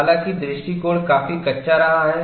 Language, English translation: Hindi, However, the approach has been quite crude